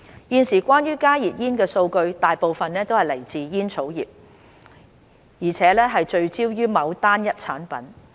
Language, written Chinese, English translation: Cantonese, 現時關於加熱煙的數據大部分來自煙草業，而且聚焦於某單一產品。, Most of the scientific data on HTPs were generated by the tobacco industry and mainly concerned one product